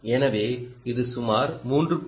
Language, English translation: Tamil, so that is the